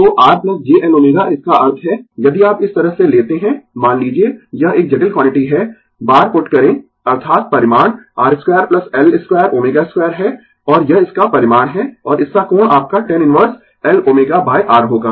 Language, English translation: Hindi, So, R plus j L omega that means, if you take like this, suppose this is a complex quantity put bar is equal to that is magnitude is R square plus L square omega square this is its magnitude, and its angle will be your tan inverse L omega by R right